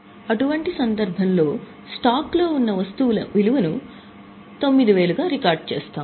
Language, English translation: Telugu, In such scenario, that item of stock we will record at 9,000